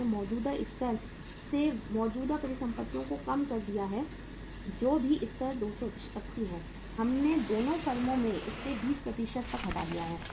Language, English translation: Hindi, We have reduced the current assets from the existing level, whatever the level is 280, we have reduced it by 20% in both the firms